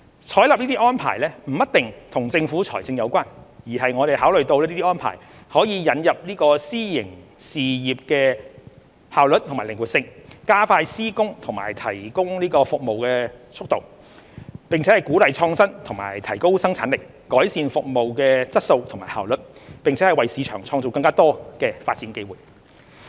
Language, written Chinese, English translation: Cantonese, 採納這些安排不一定與政府財政有關，而是我們考慮到這些安排可以引入私營事業的效率和靈活性，加快施工和提供服務的速度，並鼓勵創新及提高生產力，改善服務質素和效率，並為市場創造更多發展機會。, Adopting such arrangements is not always based on fiscal considerations but is driven by the fact that such arrangements would enable the Government to leverage the efficiency and flexibility of the private sector to speed up project and service delivery encourage innovation and enhance productivity thereby providing better and more efficient services as well as creating more development opportunities for the market